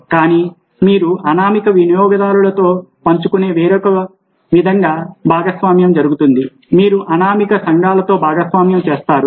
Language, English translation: Telugu, you share with anonymous users, you share with an anonymous communities